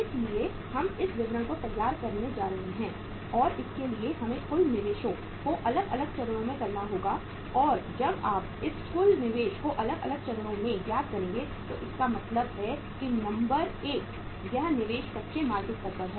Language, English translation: Hindi, So we are going to prepare this statement and for this we have to uh have the we have to work out the total investment at the different stages and when you work out this total investment at different stages so it means uh number one is the investment at raw material stage